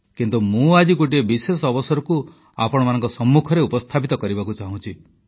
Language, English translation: Odia, But today, I wish to present before you a special occasion